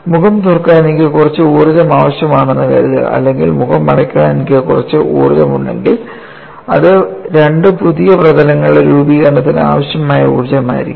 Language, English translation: Malayalam, Suppose I require some energy to open the face or if I have some energy to close the face, that would be the energy required for formation of two new surfaces